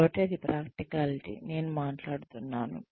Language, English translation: Telugu, So, that is the practicality, I am talking about